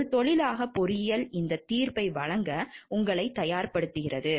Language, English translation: Tamil, And engineering as a profession teaches you prepares you to give this judgment